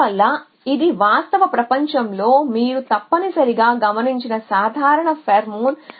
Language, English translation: Telugu, Hence it is a common pheromone you must have absorb in the real world essentially